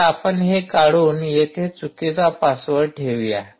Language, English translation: Marathi, we will remove and put a wrong password here